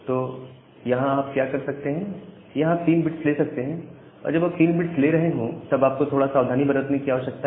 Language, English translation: Hindi, So, what you can do, here you can take three bits, so while you are taking this 3 bits, you need to be little cautious, let me say what is that